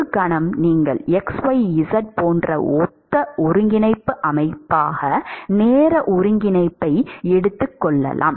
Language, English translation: Tamil, For a moment you could assume time coordinate as a similar coordinate system as xyz